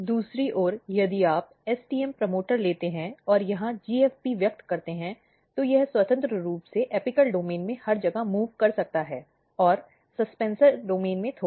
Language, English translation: Hindi, If you express GFP here, it can freely move in the apical domain everywhere in the apical domain and slightly in the suspensor domain